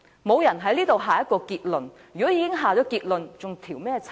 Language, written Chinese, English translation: Cantonese, 沒有人在此下結論，如果已下結論，還用調查嗎？, No one has made a conclusion here . If a conclusion is made do we still need to investigate?